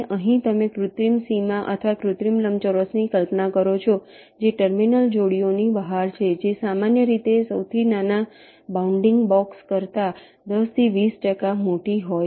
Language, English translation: Gujarati, you imagine an artificial boundary or an artificial rectangle thats outside the terminal pairs, which is typically ten to twenty percent larger than the smallest bounding box